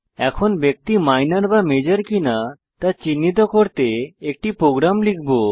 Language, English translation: Bengali, we will now write a program to identify whether the person is Minor or Major